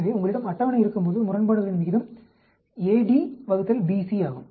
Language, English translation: Tamil, So, the odd ratio when you have a table is a d divided by b c